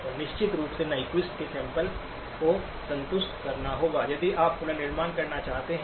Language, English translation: Hindi, And of course the Nyquist sampling has to be satisfied if you want to do reconstruction